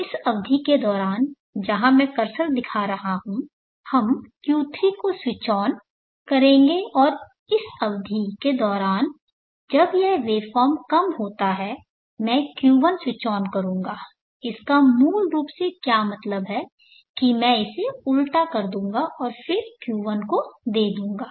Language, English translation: Hindi, So during this period where I am showing the cursor, let us switch on Q3 and during the period when this waveform is low, I will switch on Q1 what it basically means is that I will invert it and then give it to the Q1